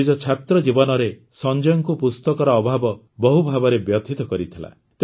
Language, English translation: Odia, In his student life, Sanjay ji had to face the paucity of good books